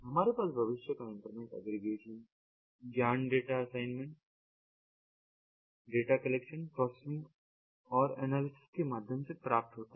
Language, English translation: Hindi, we have the future internet knowledge aggregation yeah, obtain through data assignation, data data collection, processing and ah analysis